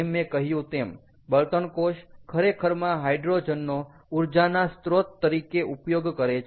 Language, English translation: Gujarati, so fuel cell actually uses hydrogen, as i said, as an energy source